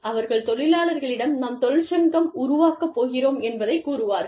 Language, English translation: Tamil, They tell people, that we are going to form a union